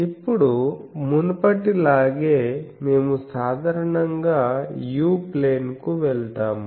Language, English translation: Telugu, Now, as before, we generally go to the u plane